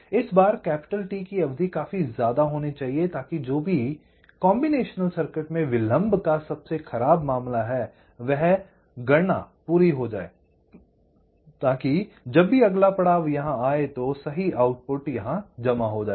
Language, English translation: Hindi, after that this clock comes, and this time t should be large enough so that whatever is the worst case of the delay of the combination circuit, that computation should be complete so that whenever the next edge comes here, the correct output should get stored here